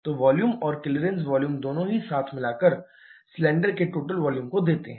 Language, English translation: Hindi, So, volume and clearance volume together give the total volume of the cylinder